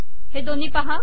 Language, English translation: Marathi, See these two